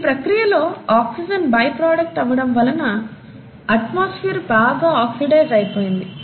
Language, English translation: Telugu, And in the process of this, oxygen became a by product and as a result the atmosphere becomes highly oxidized